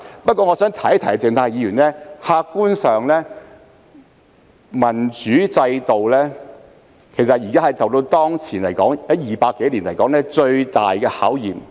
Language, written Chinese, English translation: Cantonese, 不過，我想提醒鄭松泰議員，客觀上，民主制度當前正經歷200多年來最大的考驗。, Nonetheless I would like to remind Dr CHENG Chung - tai that objectively speaking the democratic system is now facing the greatest challenge in more than 200 years